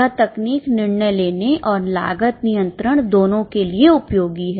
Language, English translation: Hindi, This technique is useful for both decision making as well as cost control